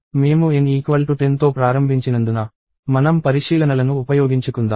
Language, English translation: Telugu, So, since I start with N equals to 10, so let us make use of the observations